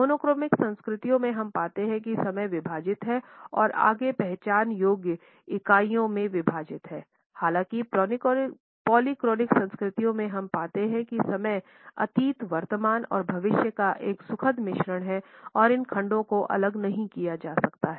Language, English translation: Hindi, In the monochronic cultures we find that time is divided and further subdivided into identifiable units; however, in polychronic cultures we find that time is a happy mixture of past present and future and these segments are not strictly segregated